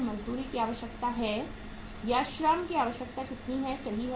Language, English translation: Hindi, The wages requirement is or the labour requirement is how much 30,000 right